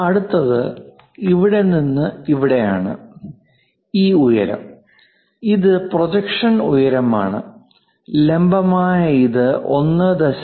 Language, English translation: Malayalam, The next one is from here to here this height, the projection height vertical thing this is 1